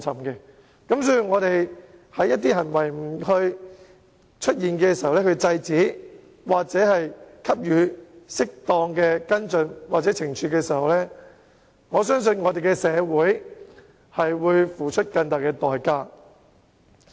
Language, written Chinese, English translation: Cantonese, 如果本會在出現這類行為時不加以制止，或作出適當的跟進或懲處，我相信社會將要付出更大的代價。, I believe if such behaviour is not stopped or appropriate follow - up actions and punishments are not imposed when they emerge in this Council society will pay an even greater price